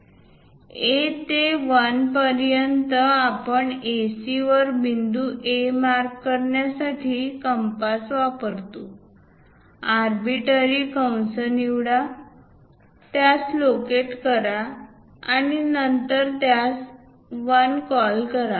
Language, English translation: Marathi, Now, use compass to mark point 1 on AC, from A to 1; pick arbitrary arc, locate it then call this one as 1